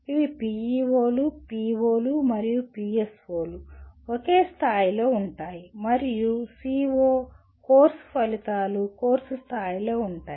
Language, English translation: Telugu, These are PEOs, POs, and PSOs are at the same level and CO, Course Outcomes at the course level